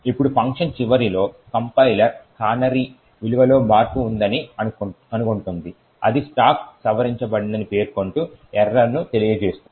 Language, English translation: Telugu, Now at the end of the function the compiler would detect that there is a change in the canary value that is it would throw an error that and that it will throw an error stating that the stack has been modified